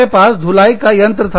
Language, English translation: Hindi, We had a washing machine